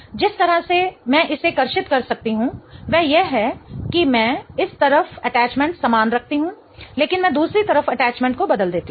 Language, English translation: Hindi, The other way I can draw this is I keep the attachments on this side the same but I change the attachment on the other side